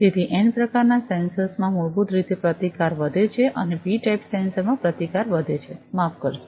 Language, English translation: Gujarati, So, in n type sensors basically the resistance increases and in p type sensors the resistance increases, sorry